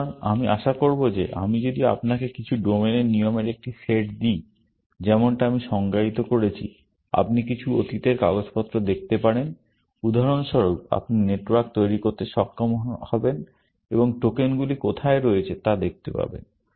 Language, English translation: Bengali, So, I will expect that if I give you a set of rules of some domain like I define, you can look at some past papers, for example, you should be able to construct the network, and show, where the tokens are